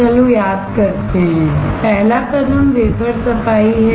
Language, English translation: Hindi, Let’s recall; The first step is wafer cleaning